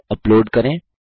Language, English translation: Hindi, Upload a file